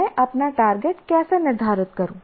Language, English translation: Hindi, Okay, how do I set my target